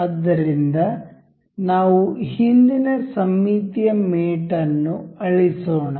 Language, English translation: Kannada, So, let us just check the symmetric mate over here